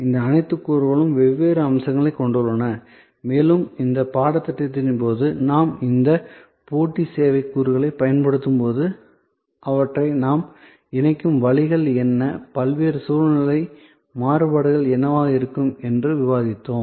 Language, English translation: Tamil, So, all these elements therefore, have different aspects and as we go along the course we will discuss that when we deployed this competitive service elements, what are the ways we combine them, what are the different contextual variations that may come up out